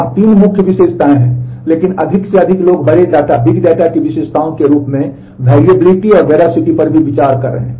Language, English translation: Hindi, There is a 3 main characteristics, but off let more and more people are also considering variability and veracity are as the characteristics of big data